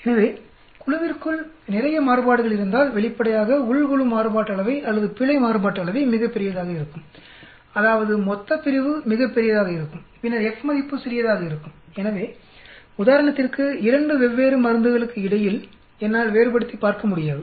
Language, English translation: Tamil, So, if there is a lot of variation when I within the group obviously, the with the within group variance or error variance will be very large, that means denominator will be very, very large, then F value will be small, so I will not be able to differentiate between 2 different drugs for example